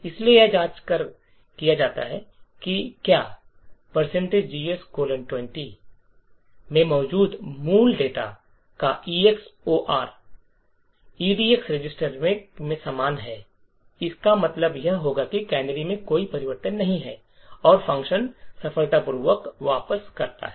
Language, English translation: Hindi, So, this is done by checking whether the EX OR of the original data present in GS colon 20 is the same as that in the EDX register, it would that the now if it is the same it would mean that there is no change in the canary and the function return successfully